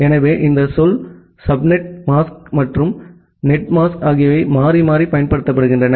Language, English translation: Tamil, So, this word subnet mask and netmask are used interchangeably